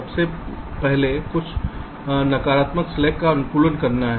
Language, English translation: Hindi, first one is to optimize the total negative slack